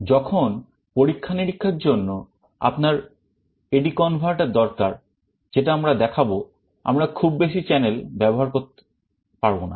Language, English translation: Bengali, When you are requiring A/D converter in the experiments that we shall be showing, we shall not be using too many channels